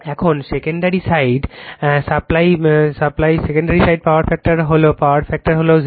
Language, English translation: Bengali, Now, secondary side power factor is power factor is 0